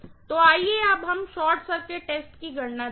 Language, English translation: Hindi, So, let us look at now the short circuit test calculations